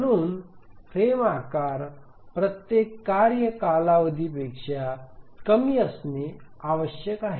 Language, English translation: Marathi, So a frame size must be less than every task period